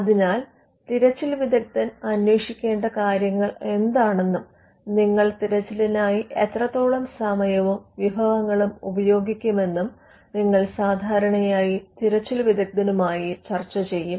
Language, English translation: Malayalam, So, you would normally discuss with the searcher as to what are the things that the searcher should look for, and what is the time and resources that you will be putting into the search